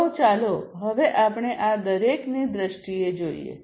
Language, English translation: Gujarati, So, let us now look at the view of each of these